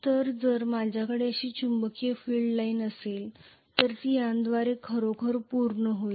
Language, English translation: Marathi, So if I have a magnetic field line like this it will actually complete part through this